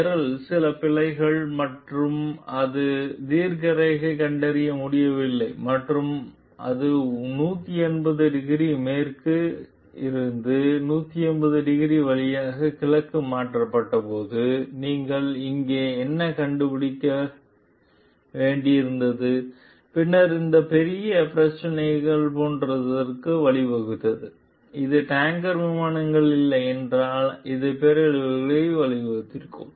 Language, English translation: Tamil, What you find over here like when the program had some bugs and it could not detect the longitude and shifted it shifted from 180 degree west to 180 degree way east then this led to like major issues, and if it were not for the tanker planes it would have led to disaster